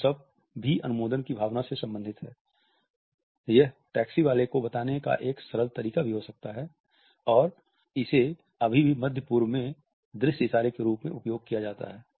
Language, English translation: Hindi, The thumbs up is also related with the sense of approval, it can be a simple in aqueous way of telling a taxi, and it can still be considered as an of scene gesture in the Middle East